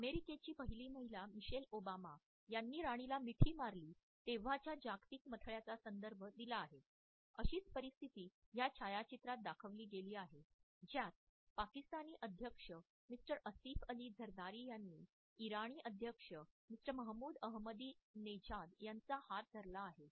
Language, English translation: Marathi, We have referred to the global headline when the USA first lady Michelle Obama hug the Queen, the similar situation is exhibited in this photograph where the Pakistani president mister Asif Ali Zardari is holding hands with the Iranian president mister Mahmoud Ahmadinejad